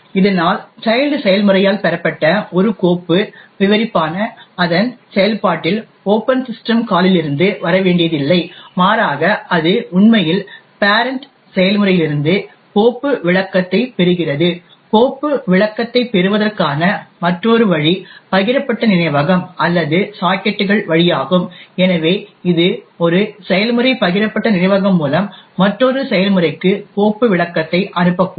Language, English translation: Tamil, Thus a file descriptor obtained by the child process does not have to come from an open system call in its process but rather it is actually inheriting the file descriptor from the parent process, another way to obtain a file descriptor is through shared memory or sockets, so this would mean that a process could send a file descriptor to an other process through a shared memory and therefore that second process can then read or write to the file without anymore explicits checks done by the operating system